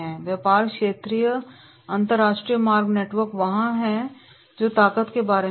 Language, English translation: Hindi, Extensive regional and international route network is there that is about the strength